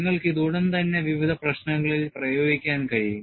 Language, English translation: Malayalam, You could immediately apply to a variety of problems